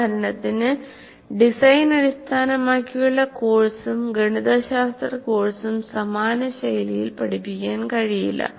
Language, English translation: Malayalam, For example, a design oriented course and a mathematics course cannot be taught in similar styles